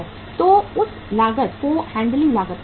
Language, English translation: Hindi, So that cost is called as the handling cost